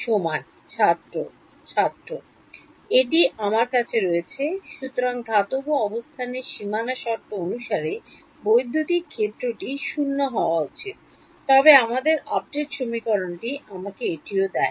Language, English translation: Bengali, That is I have, so at the position of the metal the electric field should be 0 as per the boundary conditions, but our update equation should also give me that